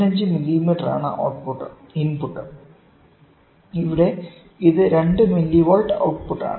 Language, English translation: Malayalam, 5 millimetres and here this is output which is 2 millivolt, right